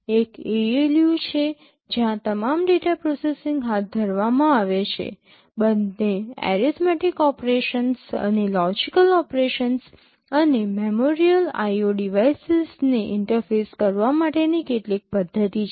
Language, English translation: Gujarati, There is an ALU where all the data processing are carried out, both arithmetic operations and also logical operations, and there is some mechanism for interfacing memorial IO devices